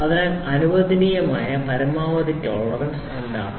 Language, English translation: Malayalam, So, what is the maximum permissible tolerance